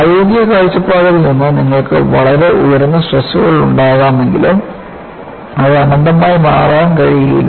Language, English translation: Malayalam, Even though, you have very high stresses from a practical point of view, it cannot become infinity